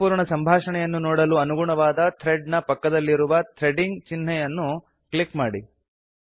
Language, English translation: Kannada, To view the full conversation click on the Threading symbol present next to the corresponding thread